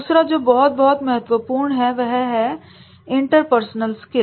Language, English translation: Hindi, Second is very, very important and that is the interpersonal skills